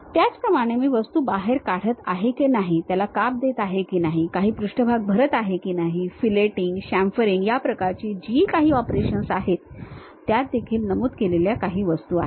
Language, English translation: Marathi, Similarly, whatever the operations like whether I am extruding the object, making a cut, fill filling some surface, filleting, chamfering this kind of things are also some of the objects it will mention